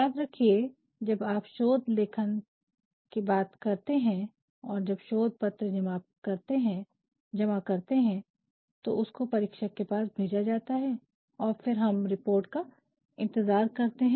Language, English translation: Hindi, You remember we are talking about thesis writing and you know when you submit a thesis, when you submit a thesis, these thesis they are sent to examiners and then we are waiting for the reports also